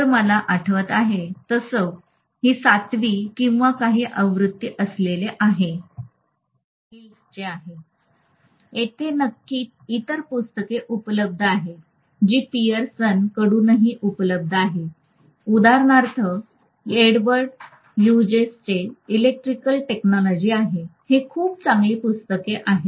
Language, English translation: Marathi, I think seventh edition, or something has come now as far as I remember and this is from McGraw Hill, there are definitely other books that are available as well from Pearson, for example there is Electrical Technology by Edward Hughes, this is a very good book